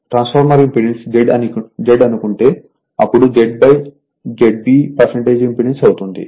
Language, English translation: Telugu, If you assume transformer impedance is Z, then Z by Z B will be your percentage impedance